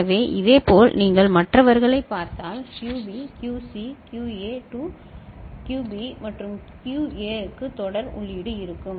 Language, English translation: Tamil, So, similarly if you look at the others QB will go to QC, QA to QB and for QA there will be serial input in